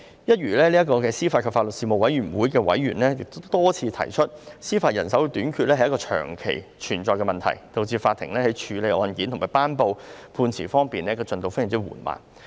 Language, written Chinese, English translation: Cantonese, 一如司法及法律事務委員會的委員多次提出，司法人手短缺是一個長期存在的問題，導致法庭在處理案件和頒布判詞的進度非常緩慢。, As members of the Panel on Administration of Justice and Legal Services repeatedly said the shortage of judicial manpower is a long - standing problem and this has seriously delayed the disposal of cases and delivery of judgments by the courts